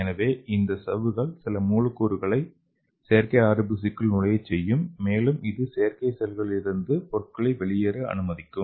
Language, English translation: Tamil, So as I told you earlier, these membrane will permeate the some of the molecules to enter into the artificial RBC and also it will allow the product to go out through the artificial cells